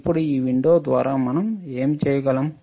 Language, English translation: Telugu, Now through this window, what we can do